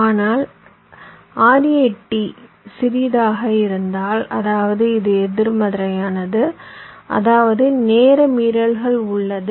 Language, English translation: Tamil, but if rat is smaller, that means this is negative, which means there is the timing violation